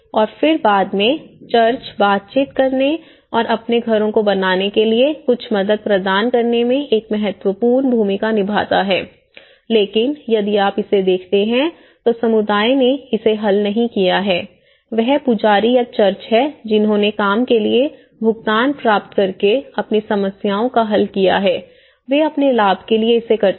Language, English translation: Hindi, And then later on, the church play an important role in negotiating and providing certain helping hand to make their houses you know, in a better way but then here, if you look at it, it is not the community who have not solved it, it is the priest or the church who have solved their problems by receiving a payment for the work, they do for their own benefit